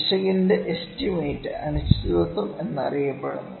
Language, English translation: Malayalam, Estimate of the error is known as uncertainty